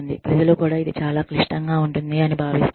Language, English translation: Telugu, People also feel that, because it is so complicated